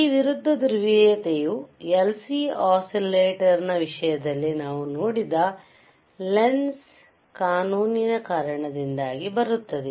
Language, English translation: Kannada, This opposite polarity comes because of the Lenz law that we have seen in the case of lcLC oscillators right